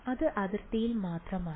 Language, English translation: Malayalam, Its only on the boundary